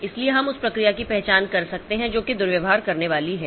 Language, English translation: Hindi, So, we may identify the process to be one which is misbehaving